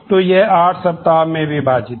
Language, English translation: Hindi, So, it is divided into 8 weeks